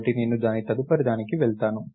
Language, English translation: Telugu, So, I will go to its next